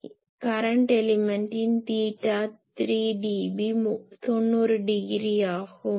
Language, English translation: Tamil, So, I can say that for current element theta 3 dB be will be 90 degree